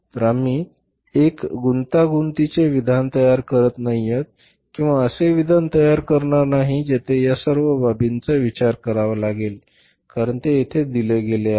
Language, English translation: Marathi, So, we are not preparing a complex statement or maybe the statement where we have to take into consideration all these items because they are given here